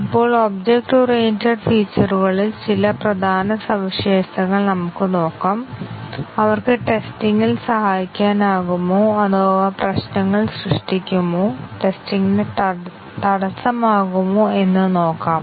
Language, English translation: Malayalam, Now, let us look at some of the object oriented features important features and let us see whether they can help in testing or they create problems, hinder testing